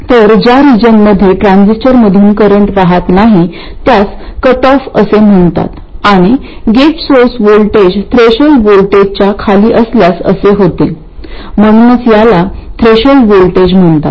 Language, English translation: Marathi, So this region where the transistor is not conducting any current this is known as cutoff and this happens if the gate source voltage is below the threshold voltage that's why it's called the threshold